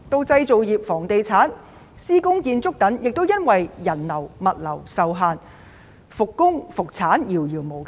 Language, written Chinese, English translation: Cantonese, 製造業、房地產、施工建築等亦由於人流物流受限，復工、復產遙遙無期。, Owing to the restricted flow of people and goods the manufacturing real estate and construction industries are uncertain when work and production can be resumed